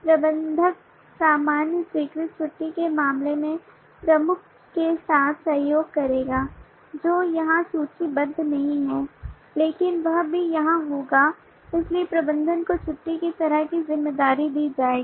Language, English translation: Hindi, manager would collaborate with the lead in terms of the usual approve leave kind of which is not listed here, but that will also be here so approve leave kind of responsibility that the manager has